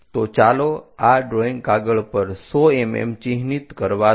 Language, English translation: Gujarati, So, let us mark 100 mm on this drawing sheet